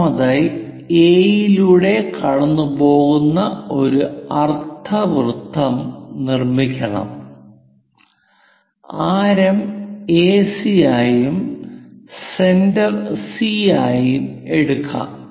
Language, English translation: Malayalam, First of all, we have to construct a semicircle passing through A with radius AC and centre as C